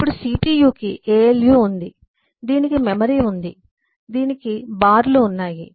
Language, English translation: Telugu, now the cpu in turn has alu, it has memory, it has bars and so on actually